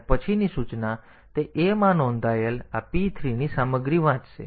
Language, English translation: Gujarati, And the next instruction it will read the content of this p 3 registered into a